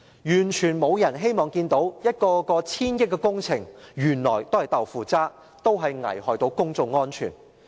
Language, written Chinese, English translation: Cantonese, 完全沒有人希望看見一個一個千億元的工程原來都是"豆腐渣"，危害公眾安全。, None of us wishes to see that projects that cost hundreds of billions of dollars turn out to be shoddy and detrimental to public security